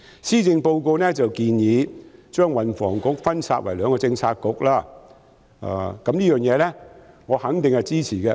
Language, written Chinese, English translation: Cantonese, 施政報告建議將運輸及房屋局分拆為兩個政策局，對此我肯定支持。, The Policy Address has proposed that the Transport and Housing Bureau be split into two Policy Bureaux and this I definitely support